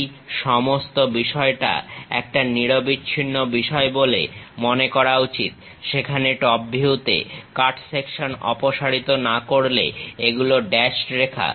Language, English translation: Bengali, This entire thing supposed to be continuous one whereas, in top view without removing that cut section; these are dashed lines